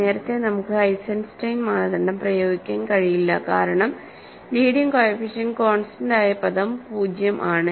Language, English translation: Malayalam, See, earlier we cannot apply Eisenstein criterion because the leading coefficient the constant term is 0